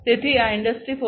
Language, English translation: Gujarati, So, for Industry 4